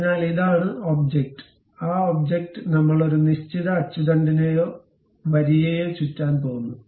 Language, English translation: Malayalam, So, this is the object and that object we are going to revolve around certain axis or line